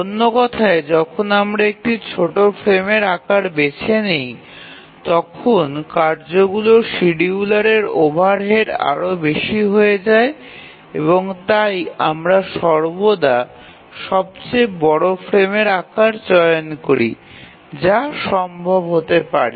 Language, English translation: Bengali, Or in other words, the overhead of the task scheduler becomes more when we choose a smaller frame size and therefore we always choose the largest frame size that is possible